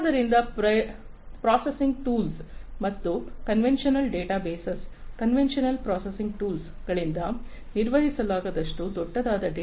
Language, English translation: Kannada, So, data which is too big to be handled by processing tools and conventional databases, conventional processing tools, and conventional databases